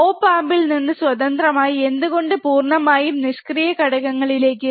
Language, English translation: Malayalam, Independent of op amp, why entirely to passive components